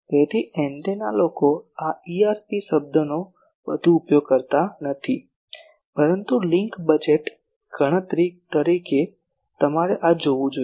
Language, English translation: Gujarati, So, antenna people do not use this EIRP term much, but as a link budget calculation you should see this